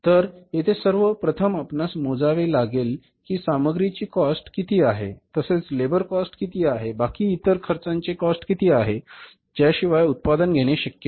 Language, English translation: Marathi, First of all we will have to calculate that how much is the cost of material, how much is the cost of labor and how much is the cost of the other direct expenses without which the production is not possible